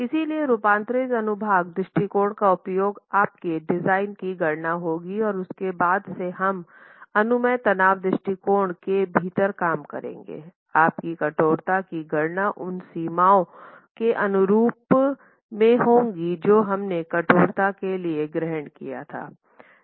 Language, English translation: Hindi, , transform section approach has to be used for your design calculations and since we are working within the permissible stresses approach, your stiffness calculations have to be consistent with the limits that we assume for the working stress